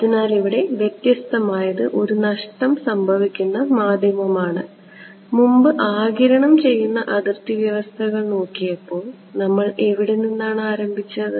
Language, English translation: Malayalam, So, what is different is it is a lossy medium; previously when we had looked at absorbing boundary condition what did we start with